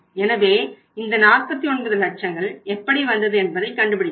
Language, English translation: Tamil, So this will be, this we have worked out how this 49 lakh has come from